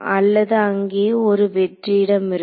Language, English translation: Tamil, Yeah otherwise there is an empty space